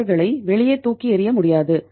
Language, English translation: Tamil, They cannot be thrown out